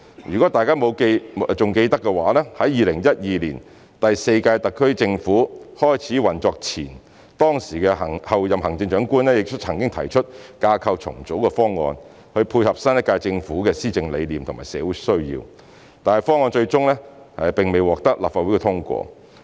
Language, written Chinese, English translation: Cantonese, 如果大家還記得，在2012年第四屆特區政府開始運作前，當時的候任行政長官亦曾提出架構重組的方案，以配合新一屆政府的施政理念及社會需要，但方案最終並未獲立法會通過。, If you still remember before the fourth term of the SAR Government started operation in 2012 the then Chief Executive - elect had put forward a proposal on structural reorganization in a bid to align with the governance vision of the government of the new term and meet social needs but the proposal was negatived by the Legislative Council in the end